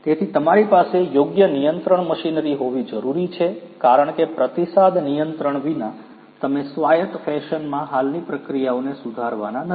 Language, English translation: Gujarati, So, you need to have a proper control machinery in place because without the feedback control you are not going to improve the existing processes in an autonomous fashion, right